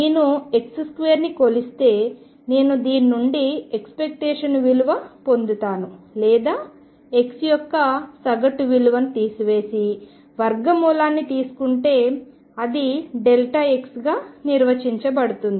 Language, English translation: Telugu, And if I measure x square I get an average value of that if I subtract expectation value or average value of x from this and take square root, this is defined as delta x